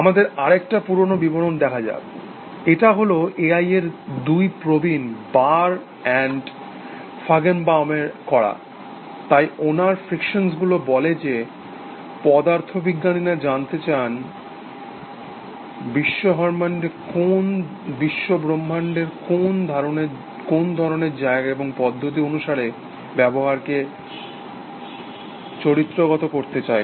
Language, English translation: Bengali, Let us look at another old definition; this is by Barr and Feigenbaum, also two old timers in A I, so his frictions says that, physicist ask what kind of place is universe is, and seek to characterize the behavior systematically